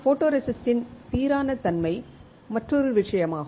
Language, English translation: Tamil, Uniformity of the photoresist is another thing